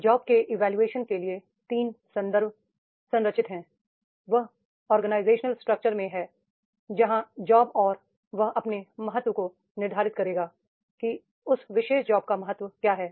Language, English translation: Hindi, Third context for this job evaluation that will be the structure that is in the organization structure where is the job and that will determine its importance that is the what is the importance of that particular job